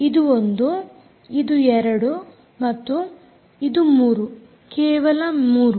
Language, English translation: Kannada, this is one, this is two and this is three